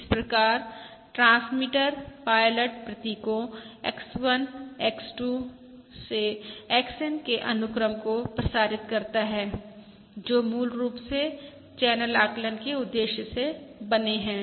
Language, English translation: Hindi, So the transmitter transmits the sequence of pilot symbols X1, X2… XN, which are basically meant for the purpose of channel estimation